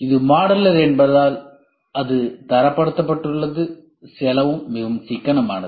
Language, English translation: Tamil, And since it is modular it is standardized the cost is very economical